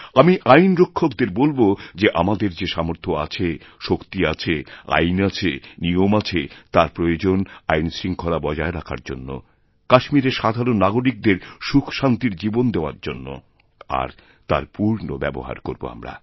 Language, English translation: Bengali, I shall also tell the security forces that all our capabilities, power, laws, rules and regulations are basically meant to maintain law and order in order to provide a life of peace and happiness for the common people of Kashmir